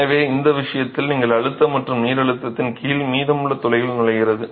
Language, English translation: Tamil, So, in this case you have pressure and water is entering the remaining pores under pressure